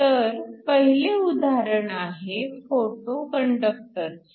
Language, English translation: Marathi, So, the first thing we look at is a photo conductor